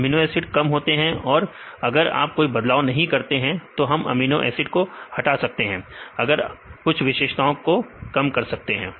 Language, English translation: Hindi, If amino acid reduced; if you do not make any change then we can eliminate this amino acids; you can reduce this number of features